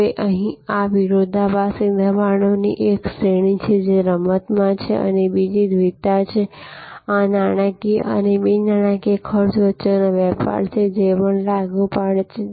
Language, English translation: Gujarati, Now, here this is one range of conflicting pressures, which are at play and this is another duality, this a trade of between monitory and non monitory costs, which is also apply